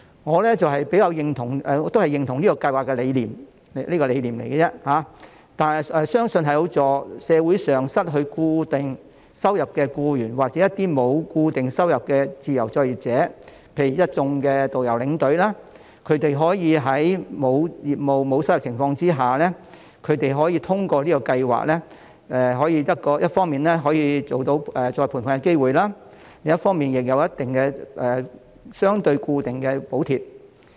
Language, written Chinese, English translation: Cantonese, 我認同這項計劃的理念，但只是理念而已，相信有助社會上失去固定收入的僱員，或一些沒有固定收入的自由作業者，例如一眾導遊和領隊，他們可以在沒有業務、沒有收入的情況下，可以通過這項計劃一方面有再培訓的機會，另一方面亦有相對固定的補貼。, I agree with the idea and only the idea of this scheme as I believe that it can help employees who lost their regular income or freelancers without a regular income such as tour guides and tour escorts to receive retraining and earn a relatively regular allowance when they have no business and thus no income